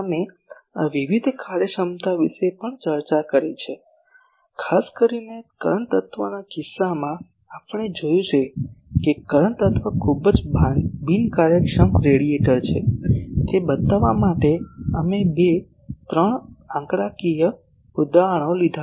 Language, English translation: Gujarati, Also we have discussed the various this efficiencies, particularly in case of the current element that time we have seen that the current element is a very inefficient radiator, we have taken two three numerical examples to show that